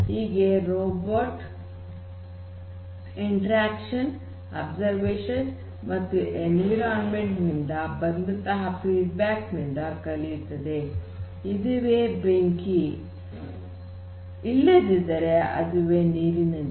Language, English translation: Kannada, So, basically the robot can through observations interactions with the environment robot will know that this is fire whereas; this is water